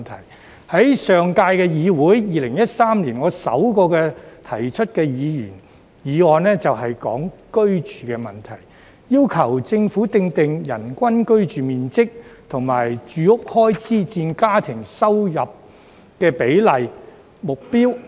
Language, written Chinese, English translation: Cantonese, 我在上屆議會提出的首項議員議案，正是關於居住問題，要求政府訂定"人均居住面積"及"住屋開支佔家庭入息比例"目標。, The first Members motion I proposed in the last legislature 2013 was exactly about housing . I requested the Government to formulate a standard for the average living space per person and a standard ratio of housing expenses to household income